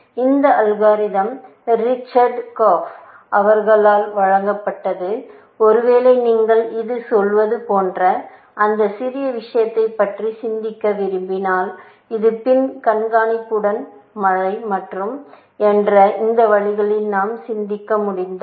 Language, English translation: Tamil, That algorithm was also given by Richard Korf, may be, if you want to think about that little bit, essentially, it is a little bit like saying, that it is hill climbing with back tracking, if we can think of it along those lines